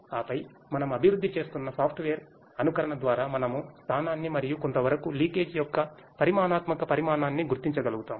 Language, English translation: Telugu, And then, through a software simulation we are which we are developing, we will at be able to identify the location and some extent the quantitative volume of the leakage